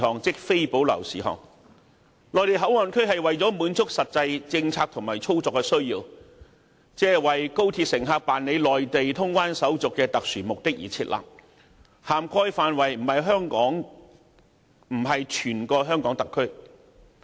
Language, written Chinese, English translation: Cantonese, 設立內地口岸區旨在滿足實際政策和操作需要，亦即為高鐵乘客辦理內地通關手續的特殊目的而設立，並不涵蓋整個香港特區。, MPA is established for the purpose of meeting the practical policy and operational needs ie . the special purpose of conducting Mainland clearance procedures for passengers of the high - speed rail link and will not cover the entire HKSAR